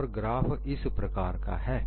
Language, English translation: Hindi, So, this will take a shape like this